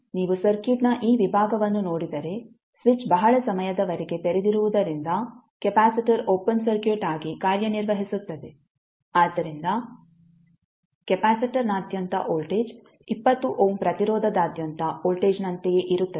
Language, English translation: Kannada, So if you see this segment of the circuit the voltage because the switch is open for very long period this will the capacitor will act as an open circuit, so the voltage across capacitor will be same as the voltage across 20 ohm resistance